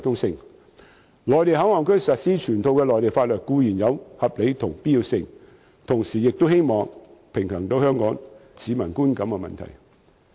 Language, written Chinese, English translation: Cantonese, 而在內地口岸區實施全套內地法律，固然亦有其合理性和必要性，希望可以同時平衡香港市民的觀感。, It is reasonable and necessary to implement the whole set of Mainland laws in MPA but I hope a balance can be struck between that and the perception of Hong Kong people at the same time